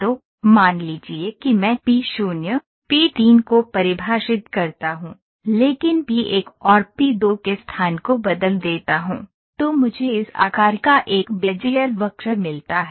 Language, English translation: Hindi, So, suppose I define p 0, p 3, but change the location of p 1 and p 2, then I get a Bezier curve of this shape